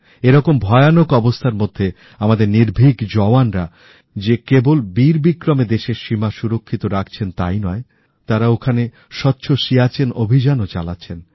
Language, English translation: Bengali, In such a difficult situation, our brave heart soldiers are not only protecting the borders of the country, but are also running a 'Swacch Siachen' campaign in that arena